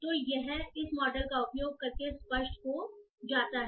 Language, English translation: Hindi, So this becomes evident using this model